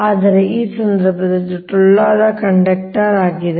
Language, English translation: Kannada, but in this case it is hollow conductor